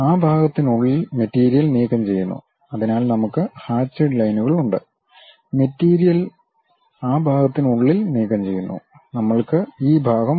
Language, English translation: Malayalam, And material is removed within that portion, so we have those hatched lines; material is removed within that portion, we have this portion